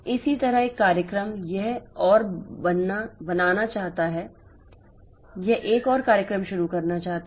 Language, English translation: Hindi, Similarly, a program it wants to, it wants to create another, it wants to start another program